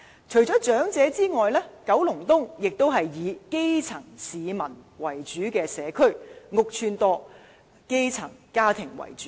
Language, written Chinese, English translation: Cantonese, 除了長者之外，九龍東也是一個以基層市民為主的社區，公共屋邨多，居民以基層家庭為主。, Besides being populated by elderly people Kowloon East is also predominantly a grass - roots community with many public housing estates where most occupants are grass - roots families